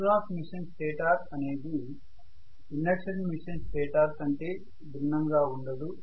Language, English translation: Telugu, The synchronous machine stator is absolutely not different from the induction machine stator